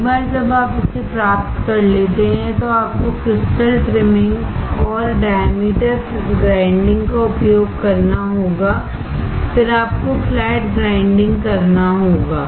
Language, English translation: Hindi, Once you get this one, then you have to use the crystal trimming and diameter grinding, then you have to do flat grinding